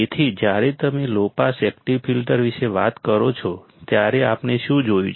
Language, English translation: Gujarati, So, when you talk about the low pass active filters what have we seen